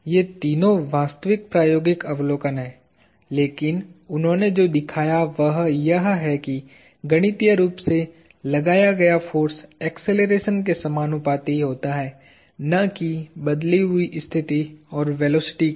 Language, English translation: Hindi, These three are all true experimental observation, but what he showed is that, mathematically, the force exerted is proportional to acceleration and not the first two